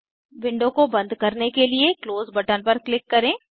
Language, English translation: Hindi, Lets Click on Close button to close the window